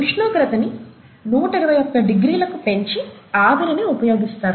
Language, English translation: Telugu, So the temperature is raised to about 121 degrees C, steam is used